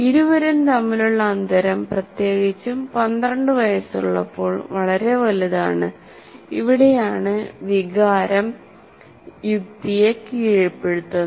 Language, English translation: Malayalam, And the gap between the two here, that means there is a gap here, especially at the age of 12, the gap is very large and this is where emotion dominates the reason